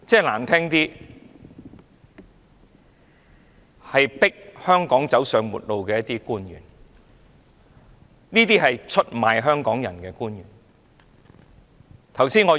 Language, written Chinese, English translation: Cantonese, 難聽的說法，他是迫香港走上末路的官員，出賣香港人的官員。, To put it bluntly he is the public officer who forces Hong Kong to its end and sell out Hong Kong people